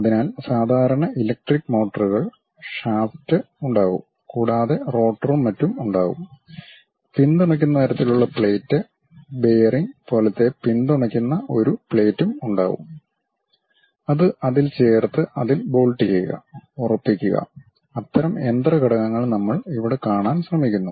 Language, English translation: Malayalam, So, the typical electrical motors, there will be shaft and there will be rotor and so on; there will be a plate bearing kind of supported kind of plate which you go ahead and insert it and bolt in it, tighten it, such kind of machine element what we are trying to look at here